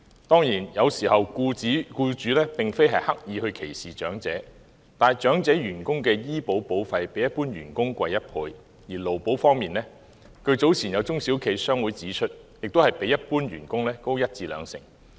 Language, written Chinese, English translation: Cantonese, 當然，有時候僱主並非刻意歧視長者，但長者員工的醫療保險費較一般員工高1倍，而在勞工保險方面，據早前有中小企商會指出，亦較一般員工高一至兩成。, Of course sometimes employers do not discriminate against elderly people deliberately . However the medical insurance premium for elderly employees is double that of employees in general and with regard to employees compensation insurance according to the claims of some business associations for small and medium enterprises SMEs the premium is also 10 % to 20 % higher than that of employees in general